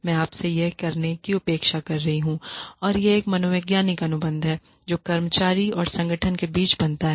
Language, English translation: Hindi, I am expecting you to do this much and that is a psychological contract that is formed between the employee and organization